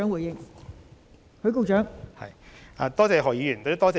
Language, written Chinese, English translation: Cantonese, 代理主席，多謝何議員的補充質詢。, Deputy President I thank Dr HO for the supplementary question